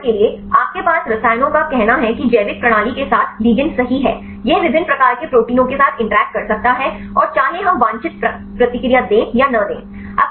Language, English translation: Hindi, For example, you have the chemicals say ligands with the biological system right it may interact with the different types of the proteins right and whether we give the desired response or not right